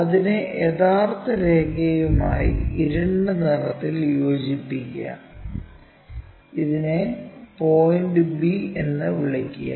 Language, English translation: Malayalam, Now, join that by true line by darker one and call this one b point